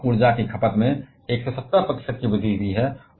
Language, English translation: Hindi, There the increase in energy consumption is even higher 170 percent